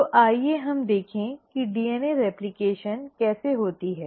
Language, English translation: Hindi, So let us look at how DNA replication happens